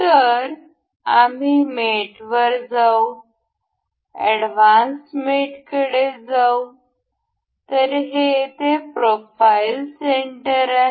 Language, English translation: Marathi, So, we will go to mate, we will go to advanced mates; then, this is profile center over here